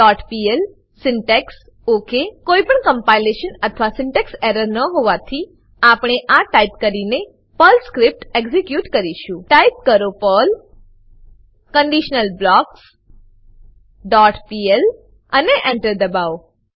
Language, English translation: Gujarati, The following line will be displayed on the terminal window conditionalBlocks.pl syntax OK As there is no compilation or syntax error, we will execute the Perl script by typing perl conditionalBlocks dot pl and press Enter The following output will be shown on terminal